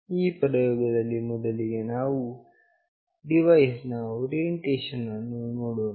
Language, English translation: Kannada, In this experiment firstly will look into the orientation of the device